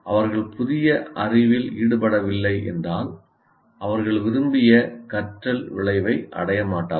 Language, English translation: Tamil, If they are not engaging, if new knowledge, they will not attain the intended learning outcome